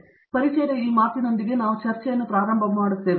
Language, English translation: Kannada, So, with these words of introduction, we will get started in this discussion